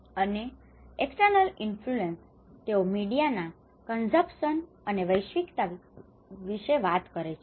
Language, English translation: Gujarati, And external influence; they talk about the media consumption and cosmopolitaness